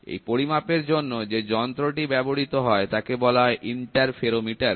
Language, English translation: Bengali, The instrument which is used for measurement is called as interferometer